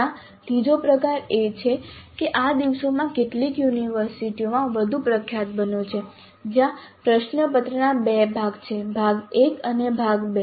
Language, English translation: Gujarati, There is a third type which has become more prominent these days in some of the universities where the question paper has two parts, part A and part B